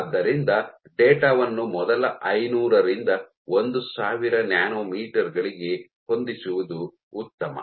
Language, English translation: Kannada, So, it is better to fit the data to the first 500 to 1000 nanometers